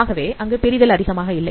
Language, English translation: Tamil, So the separation is not that much